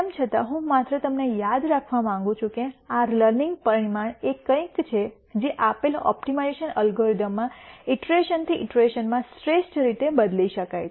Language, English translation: Gujarati, Nonetheless, I just want you to remember that this learning parameter is something that could be changed optimally from iteration to iteration in a given optimization algorithm